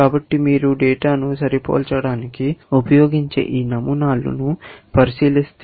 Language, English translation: Telugu, So, if you look at these patterns, this is what is used for matching the data